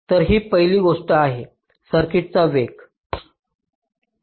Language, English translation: Marathi, so this is the first thing: speeding up the circuit